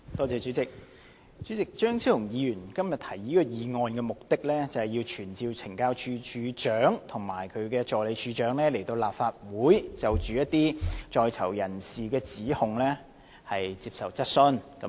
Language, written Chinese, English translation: Cantonese, 主席，張超雄議員今天提出這項議案的目的，是要傳召懲教署署長及助理署長來立法會就一些在囚人士的指控接受質詢。, President the purpose of Dr Fernando CHEUNGs motion today is to summon the Commissioner of Correctional Services and the Assistant Commissioner of Correctional Services to attend before the Council to answer questions on the allegations from some prisoners